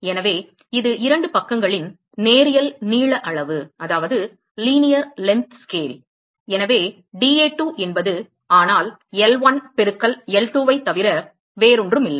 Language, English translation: Tamil, So, this the linear length scale of the two sides, so dA2 is nothing, but L1 into L2